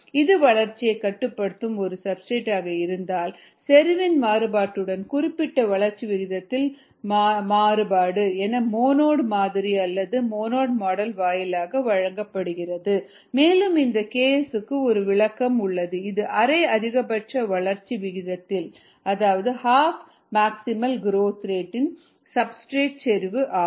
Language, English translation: Tamil, if it is a limiting substrate which limits growth, then the variation of specific growth rate with the variation in concentration is given by the monod model and there is an interpretation for this k s, which is the substrate concentration at half maximal growth rate